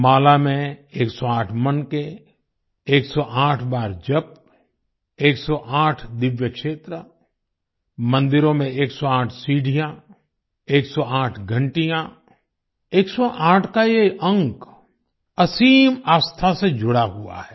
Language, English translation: Hindi, 108 beads in a rosary, chanting 108 times, 108 divine sites, 108 stairs in temples, 108 bells, this number 108 is associated with immense faith